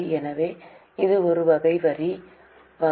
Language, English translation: Tamil, So, this is a T type of tax type of items